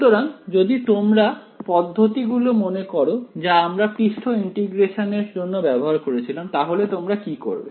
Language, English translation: Bengali, So, if you recall the tricks that we had used for that surface integral what would you do